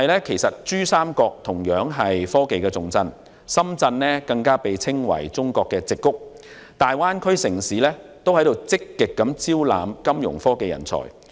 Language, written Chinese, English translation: Cantonese, 其實，珠三角同樣是科技重鎮，深圳更被譽為"中國矽谷"，大灣區城市均正積極招攬金融科技人才。, Shenzhen is even considered Chinas Silicon Valley . The cities in the Greater Bay Area are all actively recruiting Fintech talents